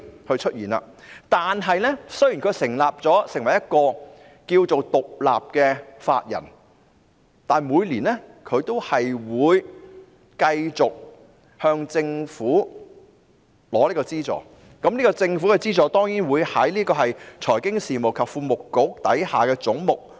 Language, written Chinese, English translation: Cantonese, 可是，雖然金發局成為了獨立法人，但每年也會繼續向政府領取資助，而有關資助當然計入財經事務及庫務局下的總目。, Notwithstanding this FSDC continues to receive subvention from the Government annually despite its new status as an independent legal person whereas the subvention is of course covered by the head under the Financial Services and the Treasury Bureau